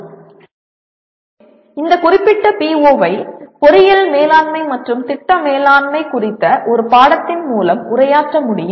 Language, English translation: Tamil, And this particular PO can be addressed through a course on engineering management and or project management